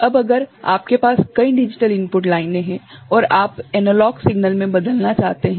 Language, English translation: Hindi, Now, comes if you have multiple digital input lines right and you would like to convert to analog signal, right